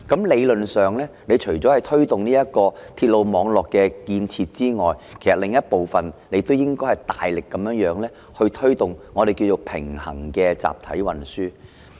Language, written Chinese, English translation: Cantonese, 理論上，除了推動鐵路網絡建設之外，亦應大力推動平衡集體運輸。, In theory in addition to the development of a railway network parallel mass transit systems should be vigorously promoted